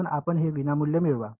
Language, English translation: Marathi, So, you get it for free